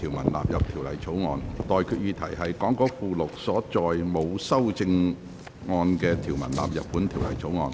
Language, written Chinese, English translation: Cantonese, 我現在向各位提出的待決議題是：講稿附錄所載沒有修正案的條文納入本條例草案。, I now put the question to you and that is That the clauses with no amendment set out in the Appendix to the Script stand part of the Bill